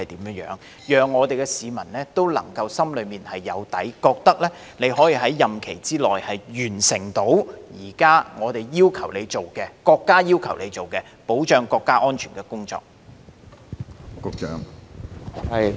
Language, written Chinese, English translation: Cantonese, 這可讓市民心裏有數，認為你可在任期內完成我們及國家要求你處理的保障國家安全的工作。, This will give the public an idea that you can accomplish during your tenure the mission entrusted to you by us and by the country to protect national security